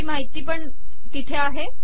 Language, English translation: Marathi, This information is also there